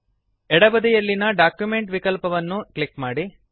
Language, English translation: Kannada, On the left side, lets select the Document option